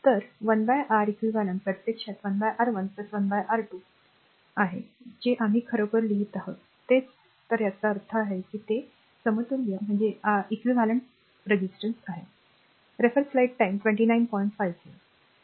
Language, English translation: Marathi, So, 1 upon Req ah we have 1 upon R 1 plus 1 upon R 2 so, Req actually is the equivalent resistance